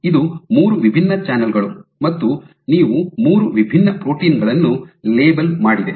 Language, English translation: Kannada, So, this is 3 different channels you have labeled 3 different proteins